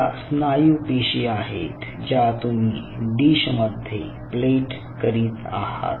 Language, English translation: Marathi, so so these are your muscle cells you are plating in a dish